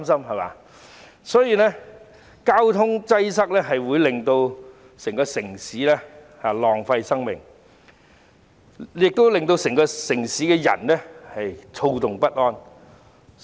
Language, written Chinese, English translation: Cantonese, 因此，交通擠塞會令整個城市的人浪費時間和生命，亦會令到整個城市的人躁動不安。, Therefore in addition to wasting the time and life of all citizens in the city traffic congestion causes unrest among them too